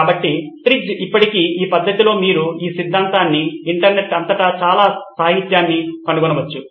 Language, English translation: Telugu, So TRIZ still sticks you can find lots of literature in this method, in this theory all across the internet